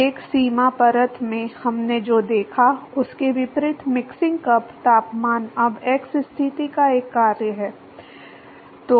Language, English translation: Hindi, Unlike what we saw in the velocity boundary layer, the mixing cup temperature is now a function of the x position